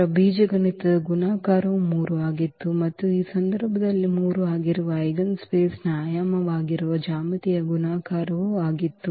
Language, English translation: Kannada, So, the algebraic multiplicity of lambda 1 was 3 and also the geometric multiplicity which is the dimension of the eigenspace that is also 3 in this case